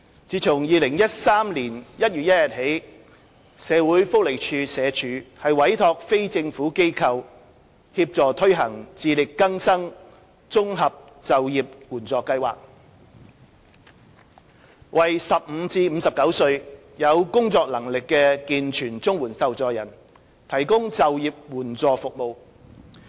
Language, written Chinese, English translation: Cantonese, 自2013年1月1日起，社會福利署委託非政府機構協助推行"自力更生綜合就業援助計劃"，為15至59歲有工作能力的健全綜援受助人，提供就業援助服務。, Since 1 January 2013 the Social Welfare Department SWD has been commissioning non - governmental organizations NGOs to assist in implementing the Integrated Employment Assistance Programme for Self - reliance IEAPS to provide employable able - bodied CSSA recipients aged 15 to 59 with employment assistance services